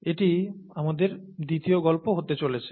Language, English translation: Bengali, This is going to be our second story